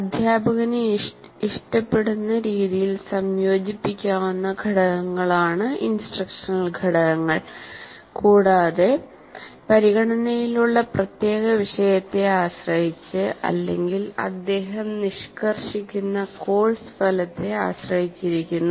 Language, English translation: Malayalam, And the instructional components are, you can say, elements of instruction that can be combined in the way the teacher prefers and also depending on the particular topic under consideration or the course outcome that you are instructing in